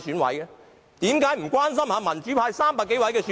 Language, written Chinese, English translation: Cantonese, 為何不關心民主派300多名選委？, How come they do not care about the 300 - odd democratic EC members?